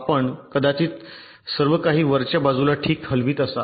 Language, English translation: Marathi, similarly you may possibly be moving everything upwards right fine